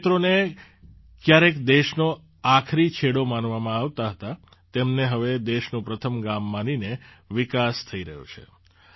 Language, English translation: Gujarati, The areas which were once considered as the last point of the land are now being developed considering them as the first villages of the country